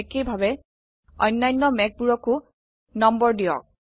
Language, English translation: Assamese, Similarly number the other clouds too